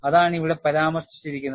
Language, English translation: Malayalam, And that is what is mentioned here